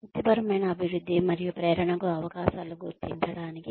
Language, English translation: Telugu, To identify, opportunities for professional development and motivation